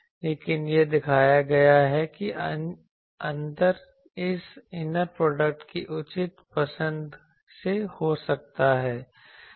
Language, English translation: Hindi, But it has been shown that the difference can be by proper choice of this inner product